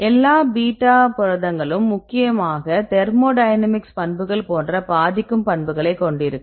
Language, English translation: Tamil, The all beta proteins mainly thermodynamic properties they influence the all beta proteins